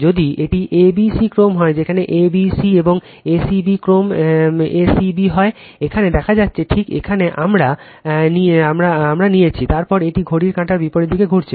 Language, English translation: Bengali, If it is a b c sequence, where a b c and a c b sequence is a c b; here it is showing just here we have taken the , then it is anti clockwise direction rotor rotating